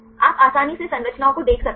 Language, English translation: Hindi, You can easily see the structures